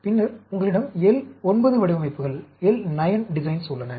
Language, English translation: Tamil, Then, you have the L 9 designs